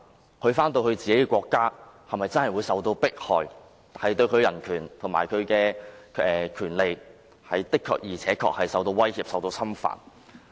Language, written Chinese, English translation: Cantonese, 如他返回自己的國家，是否真的會受到迫害，他的人權及權利是否真的會受到威脅及侵犯？, Will a claimant be really subject to persecution and will his or her human rights and rights be really threatened and violated if heshe is sent back to the country of his or her nationality?